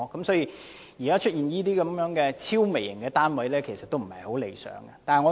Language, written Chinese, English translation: Cantonese, 所以，現時出現這些超微型的單位，是不太理想的。, For this reason the emergence of such excessively mini flats is not that desirable